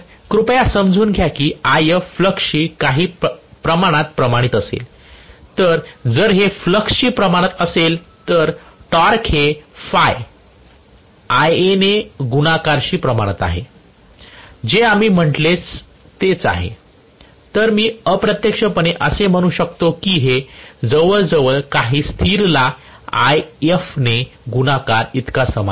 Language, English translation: Marathi, please understand that IF is going to be somewhat proportional to the flux, so if this is proportional to the flux, the torque is proportional to phi multiplied by Ia this is what we said, so I can say indirectly this is approximately equal to some constant multiplied by IF multiplied by Ia